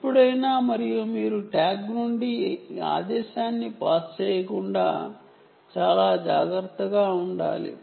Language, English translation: Telugu, ok, and you should be very careful not to pass this command from the tag